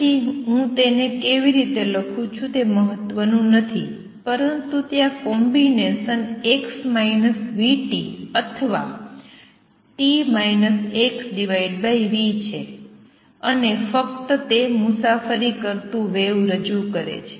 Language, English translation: Gujarati, No matter how I write it, but there is a combination x minus v t or t minus x over v and that only represents a travelling wave